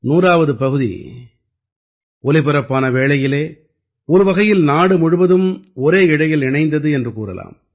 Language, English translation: Tamil, During the broadcast of the 100th episode, in a way the whole country was bound by a single thread